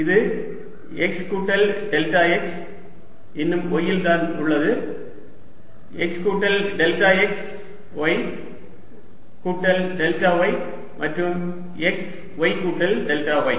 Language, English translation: Tamil, let this be x plus delta x, still at y, x plus delta, x, y plus delta y and x, y plus delta y